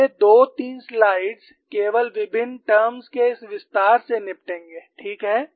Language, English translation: Hindi, The next two three slides we deal only with this expansion of various terms